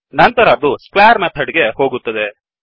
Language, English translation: Kannada, Then it comes across the square method